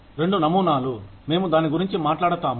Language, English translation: Telugu, Two models, that we will talk about